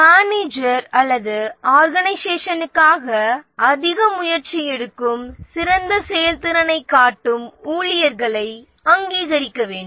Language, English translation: Tamil, The manager or the organization need to recognize employees who put lot of effort, so superior performance